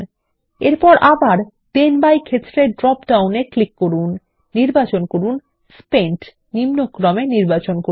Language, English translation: Bengali, In the second Then by field, click on the drop down, select Spent and then, again select Descending